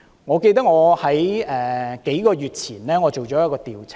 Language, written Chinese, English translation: Cantonese, 我記得在數個月前做了一項調查。, I remember that I did an investigation a few months ago